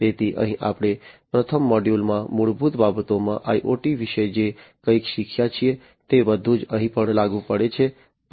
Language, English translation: Gujarati, So, here whatever we have learned about in IoT in the fundamentals in the first module, everything is applicable here as well